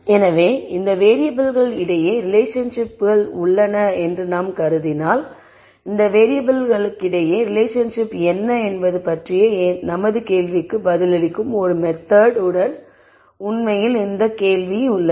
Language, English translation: Tamil, So, if we assume that there are relationships between these variables, then there is this question of actually coming up with a method that will answer our question as to what are the relationships among these variables